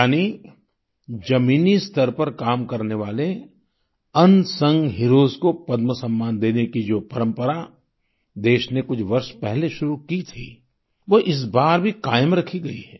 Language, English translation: Hindi, Thus, the tradition of conferring the Padma honour on unsung heroes that was started a few years ago has been maintained this time too